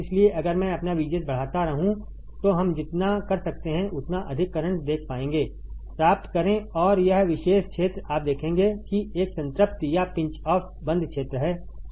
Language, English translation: Hindi, So, if I keep on increasing my VGS I can see the higher current we can obtain, and this particular region you will see that there is a saturation or pinch off region right